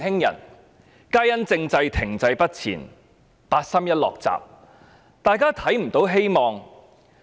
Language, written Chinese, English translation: Cantonese, 由於政制停滯不前、八三一"落閘"，於是大家也看不到希望。, Noting that the constitutional reform had remained stagnant and the Chinese authorities had shut the door through the 31 August Decision people could not see any hope